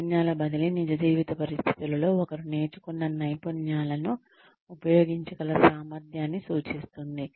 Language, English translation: Telugu, Skills transfer refers to being, able to use the skills, that one has learnt, in real life situations